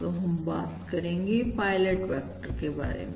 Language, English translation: Hindi, So we talk about pilot vectors, right